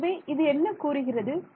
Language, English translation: Tamil, So, what is it saying